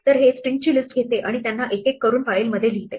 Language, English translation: Marathi, So, this takes list of strings and writes them one by one into the file